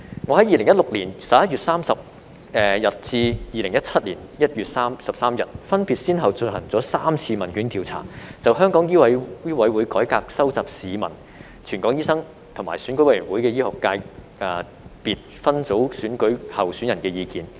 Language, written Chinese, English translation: Cantonese, 我在2016年11月30日至2017年 l 月13日，分別先後進行了3次問卷調査，就醫委會改革收集市民、全港醫生，以及選舉委員會醫學界別分組選舉候選人的意見。, I have conducted three surveys from 30 November 2016 to 13 January 2017 to collect the views of the public doctors in Hong Kong and candidates of the medical and health services subsector of the Election Committee on the reform of MCHK